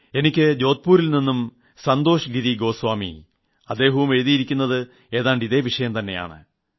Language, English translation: Malayalam, Santosh Giri Goswami has written to me from Jodhpur something similar, almost along the same lines